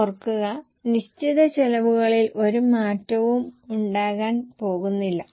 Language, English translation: Malayalam, Keep in mind there is not going to be any change in the fixed cost